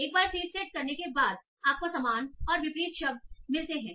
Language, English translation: Hindi, So once you have the seed set, you find these synonyms and antonyms